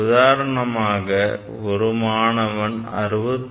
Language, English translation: Tamil, Say student one will write 66